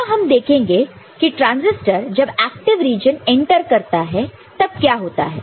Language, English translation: Hindi, Next, we shall see what happens when it enters into active region ok